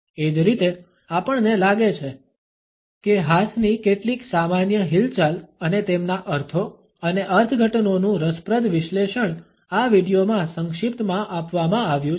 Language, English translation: Gujarati, Similarly, we find that an interesting analysis of some common hand movements and their meanings and interpretations are succinctly given in this video